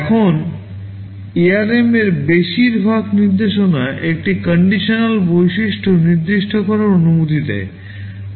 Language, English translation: Bengali, Now most instruction in ARM allows a condition attribute to be specified